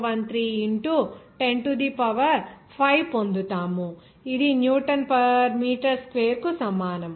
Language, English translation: Telugu, 013 into 10 to the power 5 that will be equal to Newton per meter square